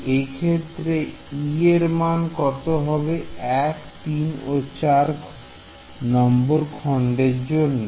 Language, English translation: Bengali, So, if this e goes to element 1 3 or 4 what will happened